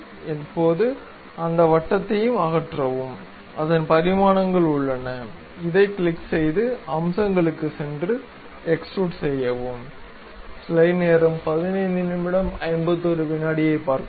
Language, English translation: Tamil, Now, remove that circle oh its dimensions are there; click this, go to features, extrude boss base